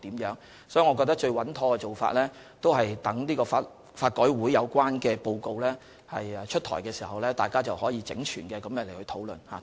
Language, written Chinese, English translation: Cantonese, 所以，我認為最穩妥的做法是等待法改會發表有關的報告，屆時大家便可整全地討論相關問題。, Hence in my view the best approach is to wait for the LRC reports and then we can discuss the relevant issues in a more holistic manner